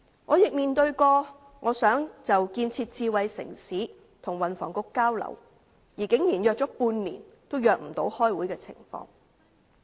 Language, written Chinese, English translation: Cantonese, 我曾希望就建設智慧城市與運輸及房屋局交流，但竟然相約半年也未能安排會議。, I once wished to exchange views with the Transport and Housing Bureau on the development of a smart city but after I had tried to make an appointment for six months they were still unable to schedule a meeting